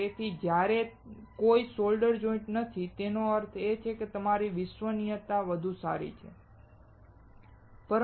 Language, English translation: Gujarati, So, when there are no solder joints; that means, that your reliability would be better